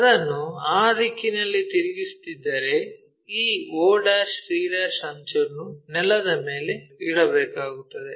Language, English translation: Kannada, If I am rotating it in that direction this o' c' edge has to be resting on the ground